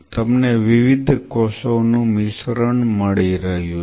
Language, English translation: Gujarati, You are getting a mixture of different cells